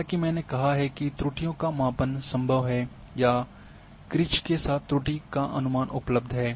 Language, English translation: Hindi, As I have said the errors measurements are possible or error estimations are available with a crane